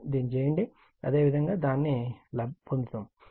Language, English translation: Telugu, If you do so, same way you will get it